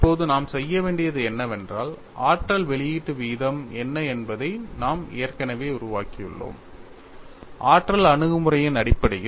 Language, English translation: Tamil, Now, what we will have to do is, we have already developed what is energy release rate based on the energy approach